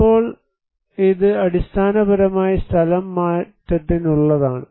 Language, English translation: Malayalam, Now, this is basically for the relocations